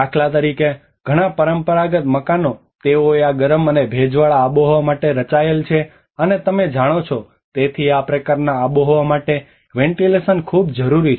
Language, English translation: Gujarati, For instance, many of the traditional houses they were designed for this hot and humid climate, and you know, therefore the ventilation is very much essential for this kind of climate